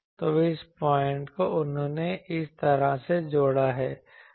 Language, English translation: Hindi, So, this point he has connected like this